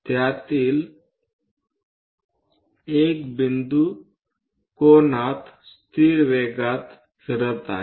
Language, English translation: Marathi, One of the point is rotating at constant angular velocity